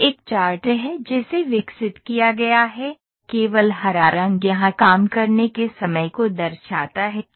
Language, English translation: Hindi, So, this is a chart that is developed, only the green color here shows the working time